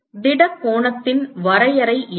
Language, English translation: Tamil, what is the definition of solid angle